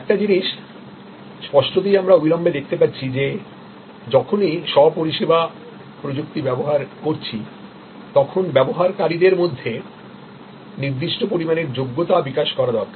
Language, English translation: Bengali, Now, one of the things; obviously, we see immediately that whenever we are using self service technology, there is a certain amount of competency that you need to develop among the users